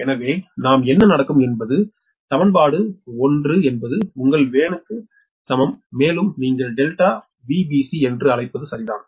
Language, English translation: Tamil, so in that case, so what we will happen, the equation will be: v a n dash is equal to your v a n plus your what you call delta v b c, right